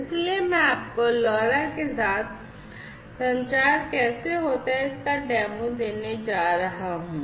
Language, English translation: Hindi, So, I am going to now give you a demo of how communication happens with LoRa